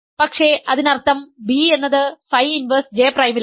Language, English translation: Malayalam, So, its image is phi of phi inverse J prime